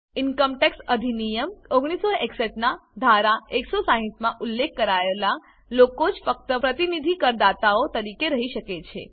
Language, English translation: Gujarati, Only those specified in Section 160 of the Income tax Act, 1961 can act as representative assessees